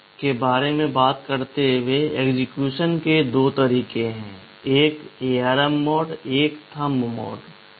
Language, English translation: Hindi, Talking about PC, there are two modes of execution; one is the ARM mode, one is the Thumb mode